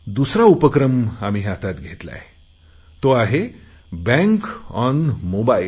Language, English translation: Marathi, The second endeavour we have started is Bank on Mobile